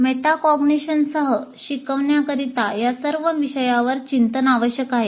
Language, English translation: Marathi, So one is the teaching with metacognition requires reflecting on all these issues